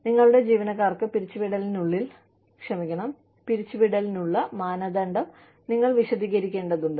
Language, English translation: Malayalam, You need to explain, the criteria for layoffs, to your employees